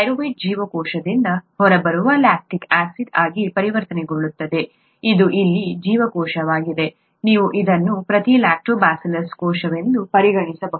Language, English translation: Kannada, Pyruvate gets converted to lactic acid which gets out of the cell, this is the cell that is here, you could consider this as each Lactobacillus cell